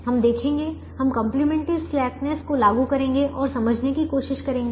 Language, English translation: Hindi, we will apply complimentary slackness and try to understand